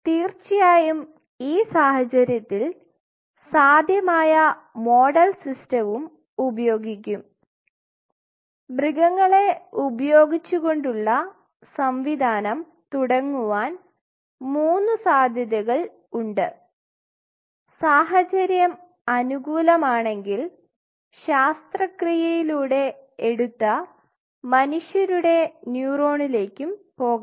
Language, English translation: Malayalam, And of course, in this case we will be using the possible model system animal system could be to 3 possibilities to start off with rat, mouse and if possible if situation permits then going for human neurons from obtain from surgery table ok